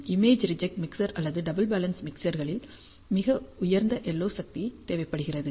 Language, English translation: Tamil, Image reject mixer contains two doubly balanced mixers, hence the LO power is very high